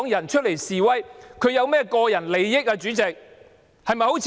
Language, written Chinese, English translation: Cantonese, 站出來示威的香港人有何個人得益呢？, What can those Hong Kong people gain for themselves in coming forward to protest?